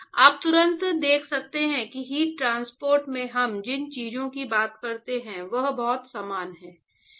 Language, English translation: Hindi, So, you can immediately see that lot of things that we talk in heat transport are very similar